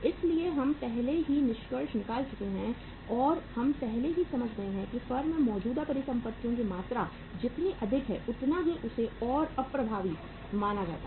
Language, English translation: Hindi, So uh we have already concluded and we have already uh understood that larger the amount of the current assets in the firm more inefficient it is treated as